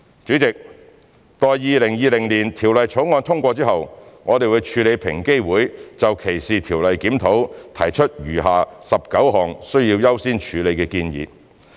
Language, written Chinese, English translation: Cantonese, 主席，待《條例草案》通過後，我們會處理平機會就歧視條例檢討提出的餘下19項需要優先處理的建議。, President upon the passage of the Bill we will deal with the remaining 19 recommendations of higher priority as proposed by EOC in respect of DLR